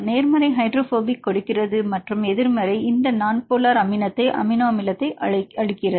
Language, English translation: Tamil, Positive gives for the hydrophobic and the negative gives this non polar amino acid